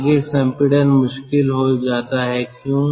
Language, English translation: Hindi, further compression becomes difficult